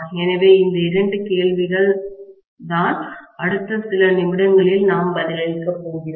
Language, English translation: Tamil, So, these are the two questions that we are going to answer in the next few minutes, okay